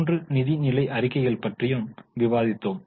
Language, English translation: Tamil, So, we discussed about all the three financial statements